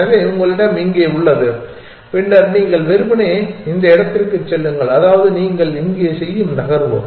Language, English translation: Tamil, So, you have a here and then you simply move to this one and that is the move that you make here